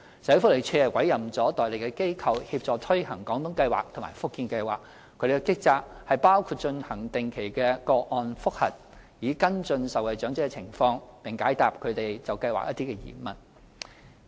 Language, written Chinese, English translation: Cantonese, 社會福利署委任了代理機構協助推行"廣東計劃"和"福建計劃"，其職責包括進行定期個案覆核，以跟進受惠長者的情況，並解答他們對計劃的疑問。, The Social Welfare Department has appointed an agent to assist in implementing the Guangdong Scheme and the Fujian Scheme . Its duties include conducting regular case reviews to follow up the conditions of the recipients and answering their queries about the schemes . Let us turn to the issue of elderly care services